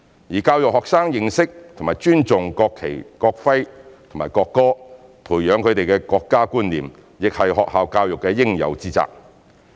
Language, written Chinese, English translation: Cantonese, 而教育學生認識和尊重國旗、國徽和國歌，培養他們的國家觀念，亦是學校教育的應有之責。, In addition schools are obliged in education to enhance students understanding and respect for national flag national emblem and national anthem and cultivate in them the national sense